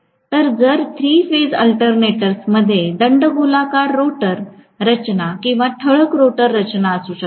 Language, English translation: Marathi, So if three phase alternators can have cylindrical rotor structure or salient rotor structure